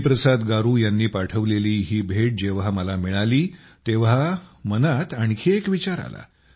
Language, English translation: Marathi, When I received this gift sent by Hariprasad Garu, another thought came to my mind